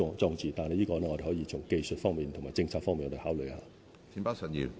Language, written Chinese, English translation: Cantonese, 關於這方面，我們可以從技術及政策方面考慮。, In this connection we can consider from the technical and policy perspectives